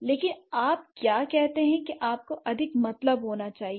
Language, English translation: Hindi, But what do you say you must mean more